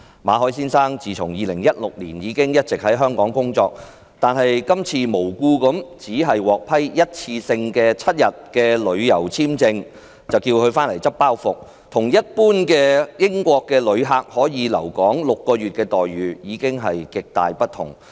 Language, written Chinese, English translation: Cantonese, 馬凱先生自2016年起一直在香港工作，今次無故的只獲批單次7天的旅遊簽證，就要求他"執包袱"，與一般英國旅客可以留港6個月的待遇極大不同。, Mr Victor MALLET has worked in Hong Kong since 2016 and this time he was only granted a seven - day single entry tourist visa; the hidden message is that he should pack and leave . Tourists from the United Kingdom can normally stay in Hong Kong for six month but Mr MALLET was treated very differently